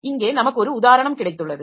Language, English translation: Tamil, So, here we have got an example